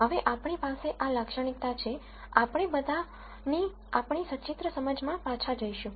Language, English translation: Gujarati, Now that we have these feature, we go back to our pictorial understanding of these things